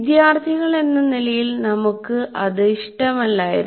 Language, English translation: Malayalam, And so mostly we did not like it as students